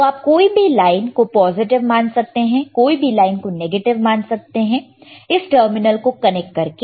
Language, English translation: Hindi, You can use any line as positive any line as negative by connecting this terminal